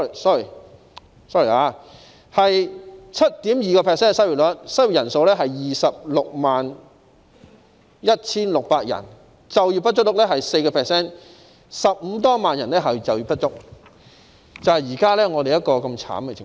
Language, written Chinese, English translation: Cantonese, sorry， 失業率是 7.2%， 失業人數是 261,600 人，就業不足率是 4%，15 萬多人就業不足，這就是現時的慘烈情況。, Some 360 000 people are unemployed and the underemployment rate is 4 % Sorry the unemployment rate is 7.2 % and the number of unemployed people is 261 600 . The underemployment rate is 4 % with more than 150 000 people underemployed